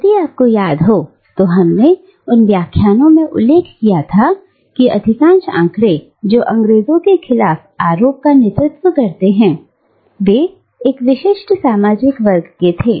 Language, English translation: Hindi, If you remember, we had noted in those lectures, that most of the figures who lead the charge against the British belonged to a particular social class